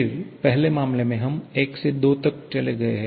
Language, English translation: Hindi, Then, in the first case we have moved from 1 to 2